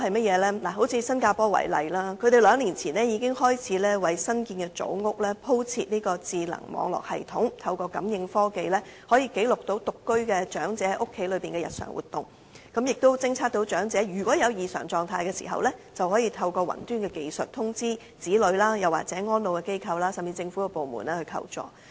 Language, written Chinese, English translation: Cantonese, 以新加坡為例，他們兩年前已開始為新建組屋鋪設智能網絡系統，可以記錄獨居長者在家中的日常活動，偵測到長者有異常狀態時，便可透過雲端技術通知其子女或安老機構，甚至向政府部門求助。, In the case of Singapore two years ago the Government started to install a smart network system in newly constructed Housing and Development Board flats to record the daily movement of elderly singletons at home . When any irregular conditions of the elderly persons are detected their children or elderly institutions will be notified through cloud communication technology and the relevant government department may also be notified to provide help